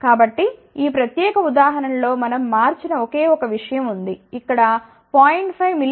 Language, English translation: Telugu, So, in this particular example there is only one thing which we have changed, instead of 0